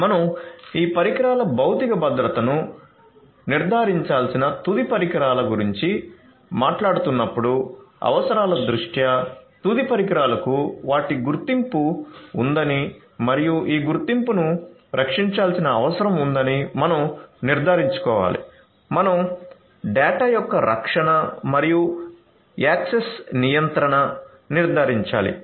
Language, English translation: Telugu, So, in terms of the requirements you know when we are talking about the end devices we have to ensure physical security of these devices, we have to ensure that the end devices have their identity and this identity will have to be protected, we have to ensure the protection of the data the and also the access control